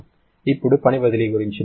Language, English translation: Telugu, Now, what about work transfer